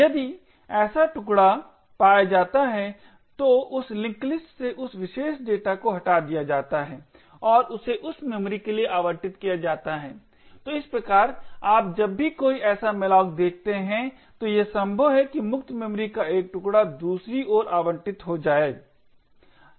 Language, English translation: Hindi, If such chunk is found then that particular data is removed from this link list and it is allocated for that memory, so thus you see whenever there is a malloc that is done it is likely that one chunk of free memory gets allocated on the other hand when a free occurs one of the allocated chunks gets freed and gets added on to the link list